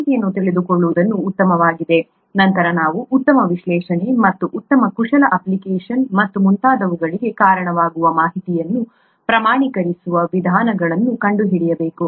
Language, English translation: Kannada, Knowing information is fine, then we will have to find means of quantifying the information which leads to better analysis and better manipulation application and so on so forth